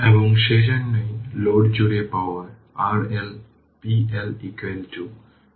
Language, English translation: Bengali, And therefore, your power across the load R L p L is equal to i L square R L